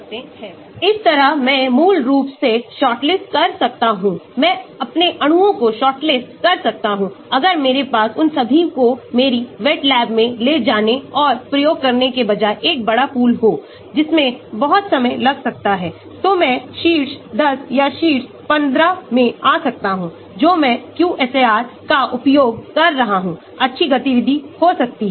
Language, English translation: Hindi, So that way I can shortlist basically, I can shortlist my molecules, if I have a large pool instead of taking all of them into my wet lab and performing experiments, which may be very time consuming, I may take the top 10 or top 15, which I have using the QSAR may have good activity